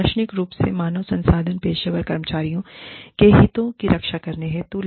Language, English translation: Hindi, Philosophically, HR professionals are there, to safeguard the interests, of the employees